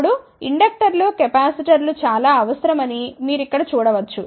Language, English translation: Telugu, Now, you can see here that lot of inductors capacitors are required